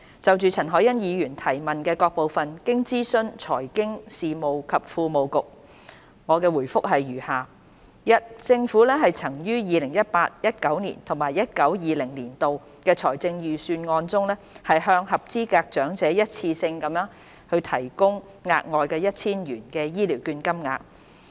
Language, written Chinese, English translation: Cantonese, 就陳凱欣議員質詢的各部分，經諮詢財經事務及庫務局，我的答覆如下：一政府曾於 2018-2019 年度及 2019-2020 年度的財政預算案中，向合資格長者一次性地提供額外 1,000 元醫療券金額。, In consultation with the Financial Services and the Treasury Bureau my reply to the various parts of the question raised by Ms CHAN Hoi - yan is as follows 1 In the Budgets of 2018 - 2019 and 2019 - 2020 the Government provided eligible elders with an additional one - off voucher amount of 1,000